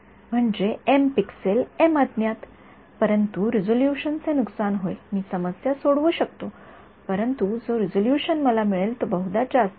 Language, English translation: Marathi, I mean m pixels m unknowns, but resolution will suffer I can solve the problem, but resolution that I will get will probably be course